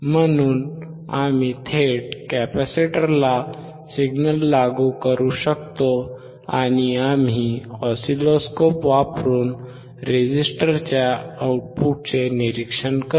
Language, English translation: Marathi, So, we can directly apply the signal to the capacitor, and we will observe the output across the resistor using the oscilloscope